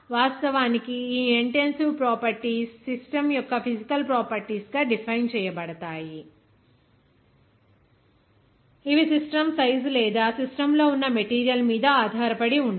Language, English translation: Telugu, Actually, these intensive properties are defined as a physical property of the system that does not depend on the system size or the amount of material in the system